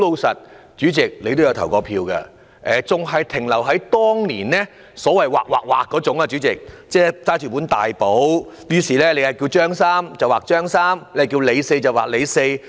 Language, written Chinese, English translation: Cantonese, 主席，你也曾投過票，你也知道查核身份證的程序還一如當年，即是由職員拿着一本大簿劃、劃、劃，你若叫"張三"便劃掉"張三"，你若是"李四"便劃"李四"。, President as you had voted before you should know the procedure for verifying the identity of electors which has remained unchanged for years . The staff at the polling station will check against a large register and cross out the names of the electors accordingly . If your name is Tom the name Tom will be crossed out